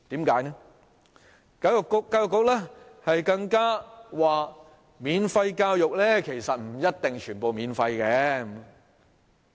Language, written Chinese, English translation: Cantonese, 教育局更說免費教育，不一定全部免費。, The Education Bureau has even indicated that free education may not be free in all cases